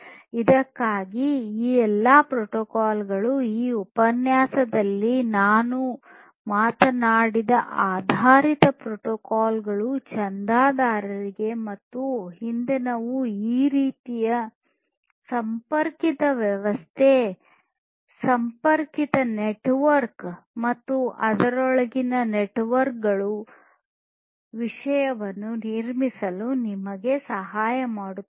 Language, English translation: Kannada, And for this, all these protocols these publish, subscribe based protocols that we have talked about in this lecture and the previous one these will help you to build this kind of connected system, connected network, and the behaviors content within it